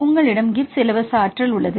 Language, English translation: Tamil, This is reason why we call this as Gibbs free energy